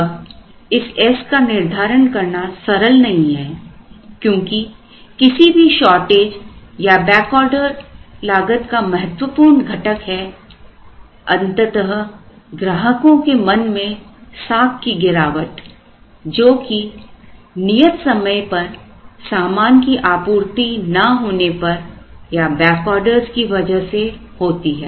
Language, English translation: Hindi, Now, computing this S is not easy because any shortage or back order cost will have an important component which is eventual loss of customer good will by not delivering things in time and by back order